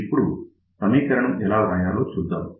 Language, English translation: Telugu, So, let us see how we can write the equation